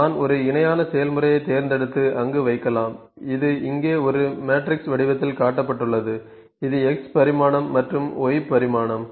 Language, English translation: Tamil, So, I can pick one parallel process and put there so, this in parallel process it is shown in the form of a matrix here; this is X dimension and Y dimension ok